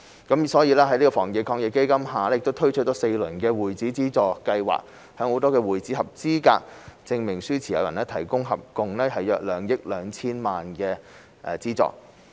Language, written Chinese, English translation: Cantonese, 故此，政府在基金下推出了4輪的會址資助計劃，向會址合格證明書持有人提供合共約2億 2,000 萬元的資助。, Therefore the Government launched four rounds of the Club - house Subsidy Scheme under AEF to provide subsidies of about 220 million in total to club - house Certificate of Compliance CoC holders